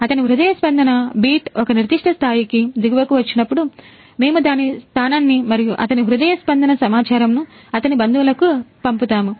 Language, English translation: Telugu, So, whenever his heart pulse beat come below to a certain threshold, then we will send its location and his heartbeat data to its; his relatives